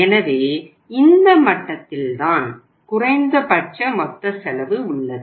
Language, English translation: Tamil, So you would say at this level the least total cost this is the least total cost